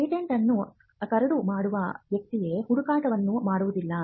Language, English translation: Kannada, It is not the person who drafts the patent who does the search